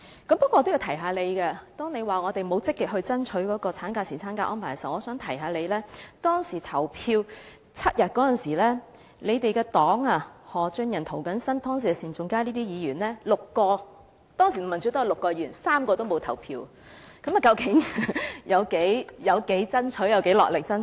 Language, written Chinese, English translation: Cantonese, 不過，我也要提醒她，當她說我們沒有積極爭取產假和侍產假的安排時，我想提醒她，當時就7天侍產假表決時，她的政黨的前議員何俊仁、涂謹申議員、前議員單仲偕等合共6人——當時民主黨有6位議員，卻有3人沒有投票，究竟他們有多落力爭取？, However she said we had not lobbied actively for maternity leave and paternity leave arrangements but I wish to remind her that when the voting on seven days of paternity leave took place former Member Albert HO Mr James TO and another former Member Mr SIN Chung - kai who all belong to her party―at that time there were six Members from the Democratic Party but three of them did not vote . How hard have they actually lobbied?